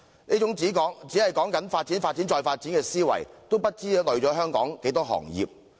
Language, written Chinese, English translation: Cantonese, 這種只講求發展、發展、再發展的思維，不知拖累了香港多少行業。, Such a mode of thinking that merely pursues development and further development has adversely affected Gods knows how many sectors in Hong Kong